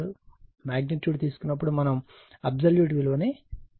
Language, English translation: Telugu, Now when you take the magnitude, you will take the absolute right